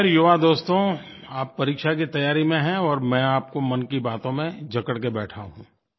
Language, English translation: Hindi, Anyway, young friends, you are engrossed in preparing for your exams and here I am, engaging you in matters close to my heart